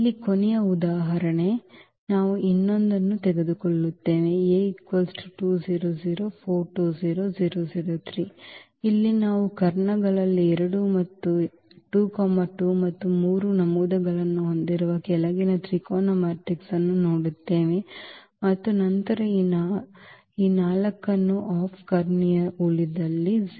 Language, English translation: Kannada, So, the last example here we will take another one where we do see this is the lower triangular matrix with entries 2 2 3 in the diagonals and then we have this 4 in the off diagonal rest everything is 0